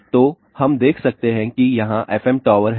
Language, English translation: Hindi, So, we can see here FM towers are there